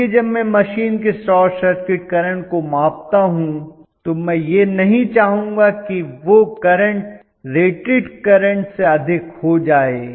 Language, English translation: Hindi, So when I actually measure the short circuit current of the machine you know I do not want that current to go beyond the rated current